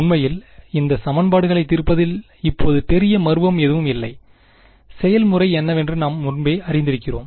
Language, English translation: Tamil, Actually solving this these equation is now there is no great mystery over here, we have already know it what is the process